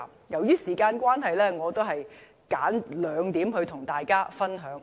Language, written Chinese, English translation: Cantonese, 由於時間關係，我選兩點跟大家分享。, Given the time constraints I will choose two points to share with Members